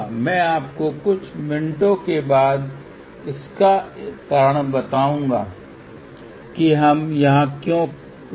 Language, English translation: Hindi, I will tell you the reason also after few minutes, why we stop here